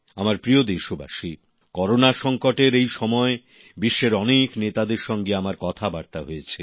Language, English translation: Bengali, during the ongoing Corona crisis, I spoke to mnay world leaders